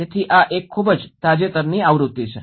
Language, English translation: Gujarati, So, this is a very recent edition